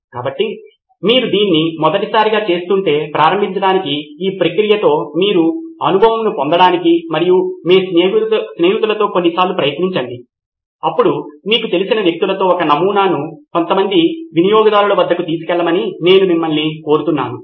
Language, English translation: Telugu, So to begin if you are doing this for the first time I would urge you to make one prototype take it to a few customers just to get your hands on with this process and try it a few times with your friends, with people you know then go on to people you do not know and get on started with it